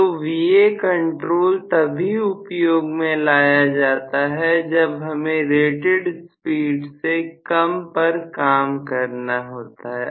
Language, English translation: Hindi, So, Va control is also used only for below rated speed operation